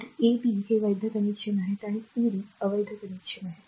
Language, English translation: Marathi, So, a b are valid connection c d are invalid connection